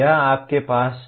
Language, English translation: Hindi, This is what you have